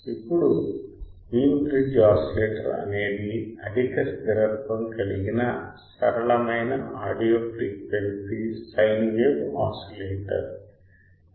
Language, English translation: Telugu, Now Wein bridge oscillator is an audio frequency sine wave oscillator of high stability and simplicity ok